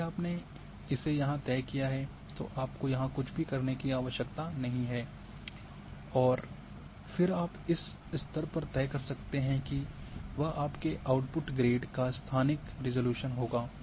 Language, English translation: Hindi, So, if you fixed it here then you need not to do anything here and then what you can decide at this stage what is going to be the spatial resolution of your output grade